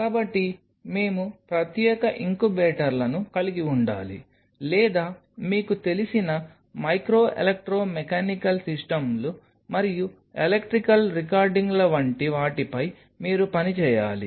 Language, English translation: Telugu, So, we have to have separate incubators or your working on something like you know micro electro mechanical systems and electrical recordings